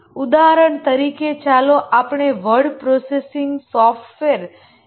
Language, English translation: Gujarati, For example, let's say a word processing software